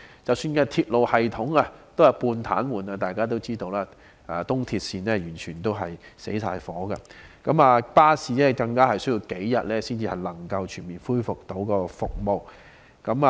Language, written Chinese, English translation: Cantonese, 即使鐵路系統也是半癱瘓狀態，大家也知道東鐵線是完全停頓的，而巴士更需要數天才能全面恢復提供服務。, Even the railway system was in a semi - paralysed state . As we all know the East Rail Line had come to a complete standstill and it had taken a few days for buses to fully resume normal service